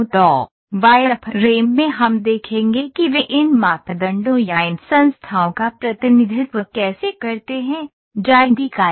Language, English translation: Hindi, So, in wireframe we will see how do they represent these to these parameters or these entities, drawing entities